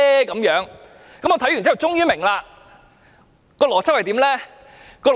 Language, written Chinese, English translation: Cantonese, 我看完終於明白那邏輯是甚麼。, I finally figured out the logic after reading the article